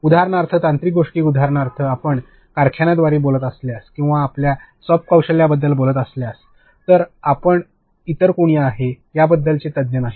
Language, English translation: Marathi, Ok So, technical stuff for example, if you are going to speak about factories or if you are going to speak about soft skills, we are not experts on that somebody else is